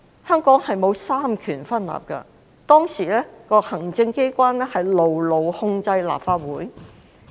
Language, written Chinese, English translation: Cantonese, 香港並沒有三權分立，當時的行政機關牢牢控制着立法局。, Hong Kong does not have separation of powers . Back then the Executive Council firmly controlled the Legislative Council